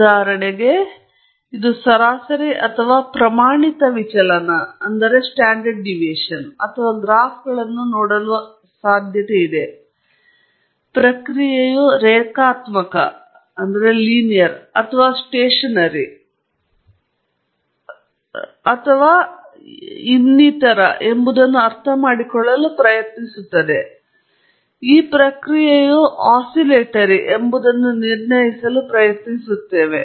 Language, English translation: Kannada, For example, it could be looking at the mean or the standard deviation or looking at the graphs, trying to understand whether the process is linear or stationery and so on; trying to infer whether the process is oscillatory